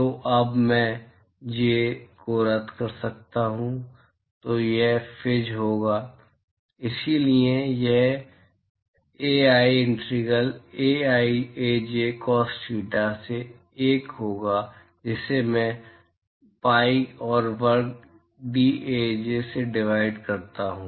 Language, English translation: Hindi, So, now I can cancel out the J i’s then so it will be Fij, so it will be 1 by Ai integral Ai Aj cos theta i divided by pi R square dAj